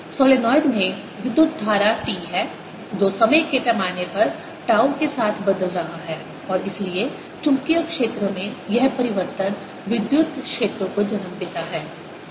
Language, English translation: Hindi, in the solenoid there is current i t changing in with time scale, tau, and therefore this change in magnetic field gives rise to the electric field